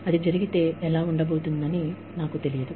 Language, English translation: Telugu, I do not know, if it is going to happen